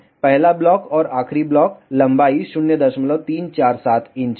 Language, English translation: Hindi, First block and the last block the length is 0